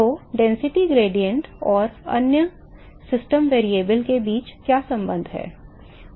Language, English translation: Hindi, So, what is the relationship between the density gradient and the other system variable